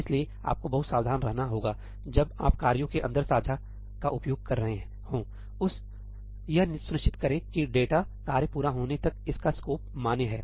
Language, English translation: Hindi, So, you have to be very careful when you are using shared inside tasks; make sure that data, its scope is valid until the tasks complete